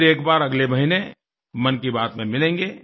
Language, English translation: Hindi, We shall meet once again in another episode of 'Mann Ki Baat' next month